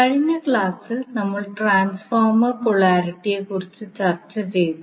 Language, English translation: Malayalam, So in last class we were discussing about the transformer polarity